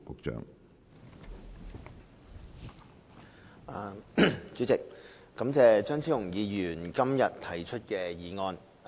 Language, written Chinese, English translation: Cantonese, 主席，感謝張超雄議員今天提出議案。, President I thank Dr Fernando CHEUNG for moving this motion today